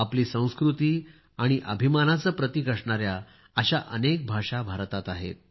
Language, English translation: Marathi, India is a land of many languages, which symbolizes our culture and pride